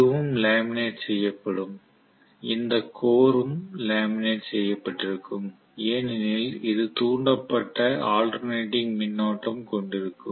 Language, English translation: Tamil, And I will have this also laminated, this will also be laminated core because this will also have induced currents which are alternating in nature